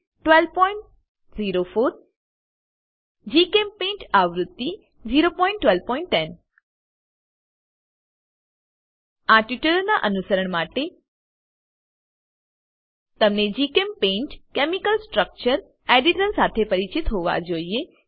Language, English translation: Gujarati, 12.04 GChemPaint version 0.12.10 To follow this tutorial, you should be familiar with, GChemPaint chemical structure editor